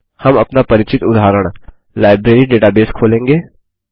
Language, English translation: Hindi, We will open our familiar Library database example